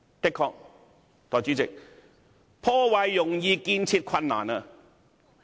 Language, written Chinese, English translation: Cantonese, "的確，代理主席，破壞容易，建設困難。, Indeed Deputy President it is easier to destroy than to create